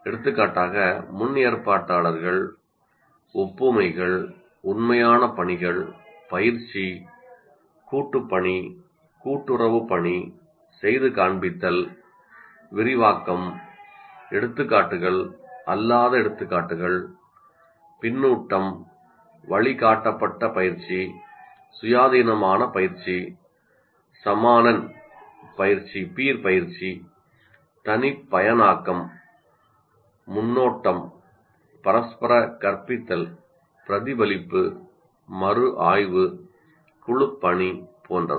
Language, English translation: Tamil, For example, advanced organizers, analogies, authentic tasks, coaching, collaborative work, cooperative work, demonstration, elaboration, examples, non examples, feedback, guided practice, independent practice, peer tutoring, personalization, preview, reciprocal teaching, reflection, review, teamwork, etc